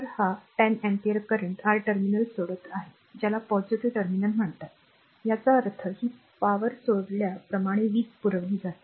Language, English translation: Marathi, So, 10 ampere current is leaving the terminal your what you call positive terminal so; that means, power supplied, as you leaving this power this thing